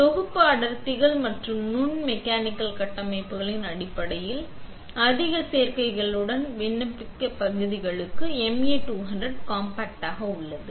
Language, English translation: Tamil, The MA200 compact is the ideal exposure system for application areas with high demands in terms of package densities and micro mechanical structures